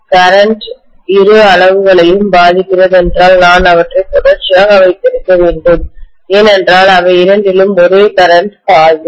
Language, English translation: Tamil, If the current is affecting both the quantities, I should have had them in series because the same current would flow through both of them